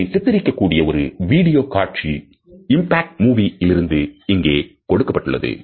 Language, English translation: Tamil, Here we are displaying a very interesting video from impact movie